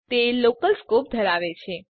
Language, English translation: Gujarati, These have local scope